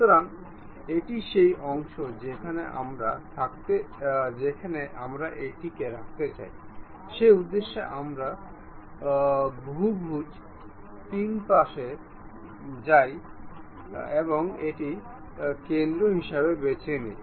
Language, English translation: Bengali, So, this is the portion where we would like to have, for that purpose we go to polygon 3 sides pick this one as center